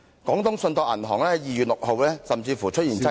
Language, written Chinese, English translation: Cantonese, 廣東信託銀行在該年2月6日甚至出現擠提......, On 6 February that year there was even a run on the Canton Trust Commercial Bank